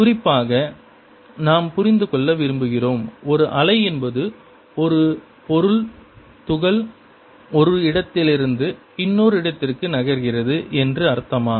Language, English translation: Tamil, in particular, we want to understand: does a wave mean that a material particle moves from one place to another